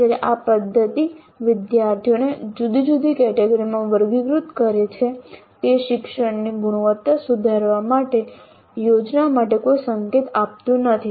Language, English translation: Gujarati, While this method classifies students into different categories, it does not provide any clue to plan for improvement of quality of learning